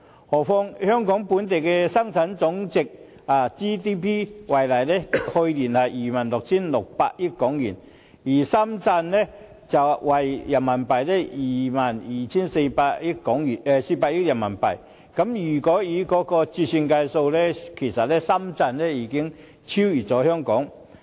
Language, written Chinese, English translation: Cantonese, 何況以香港本地生值總值為例，去年為 26,600 億港元，而深圳的 GDP 則為 22,400 億元人民幣，經折算匯率後，其實深圳已超越香港。, And we must note that while Hong Kongs gross domestic product GDP stood at 2,660 billion last year that of Shenzhen was RMB 2,240 billion . We can see that after currency conversion Shenzhens GDP has in fact overtaken that of Hong Kong